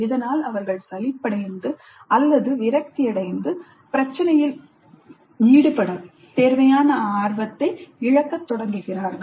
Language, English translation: Tamil, They become bored or they become frustrated and they start losing the passion required to engage with the problem